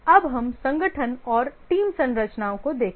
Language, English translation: Hindi, Now let's look at the organization and team structures